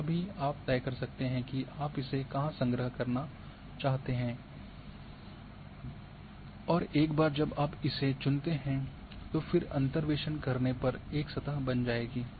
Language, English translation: Hindi, So, that also you can decide and where you want to store and once you choose say you choose these things go for interpolation then the surface will be created